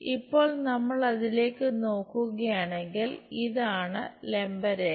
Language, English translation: Malayalam, Now if we are looking at that this is the perpendicular line